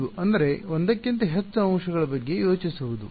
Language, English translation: Kannada, Hint is to think of more than one element yeah